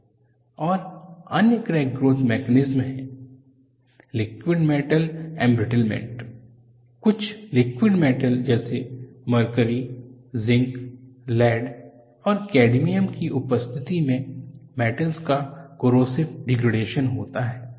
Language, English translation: Hindi, And another crack growth mechanism, is liquid metal embrittlement, corrosive degradation of metals in the presence of a certain liquid metals such as mercury, zinc, lead, and cadmium